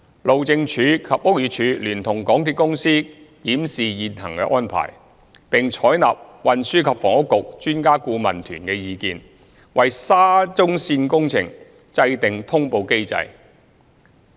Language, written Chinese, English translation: Cantonese, 路政署及屋宇署聯同港鐵公司檢視現行安排，並採納專家顧問團的意見，為沙中線工程制訂通報機制。, Hyd BD and MTRCL have reviewed the existing arrangement and followed the advice from the Expert Adviser Team to set up an announcement mechanism for the SCL works